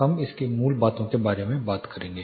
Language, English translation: Hindi, So we will talk about the basics of it